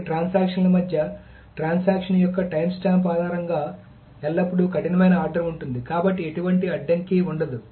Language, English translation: Telugu, Between two transactions there is always a strict order based on the timestamp of the transaction